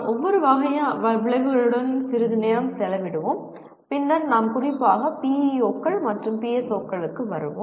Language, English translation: Tamil, Let us briefly spend some time with each type of outcome and then we will more specifically come to PEOs and PSOs